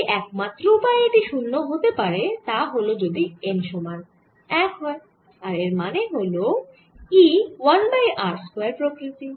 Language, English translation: Bengali, the only way this can become zero is if n equals one and this implies e should go as one over r